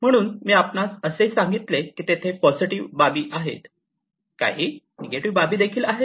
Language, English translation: Marathi, So, I also told you that the positive aspects are there, there are some negative aspects as well